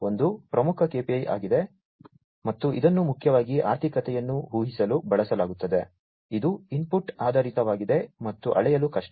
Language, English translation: Kannada, One is the leading KPI, and it is mainly used to predict the economy, it is input oriented, and is hard to measure